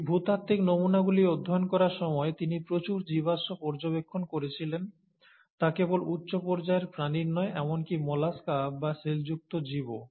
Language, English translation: Bengali, And in the process of studying these geological specimens, he did observe a lot of fossils of not just high end animals, but even molluscs, or shelled, shelled organisms